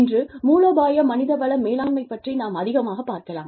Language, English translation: Tamil, Today, we will talk more about, Strategic Human Resource Management